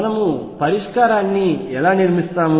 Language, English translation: Telugu, And that is how we build the solution